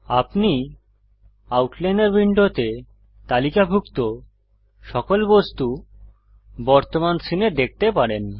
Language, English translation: Bengali, You can see all objects present in the current scene listed in the outliner window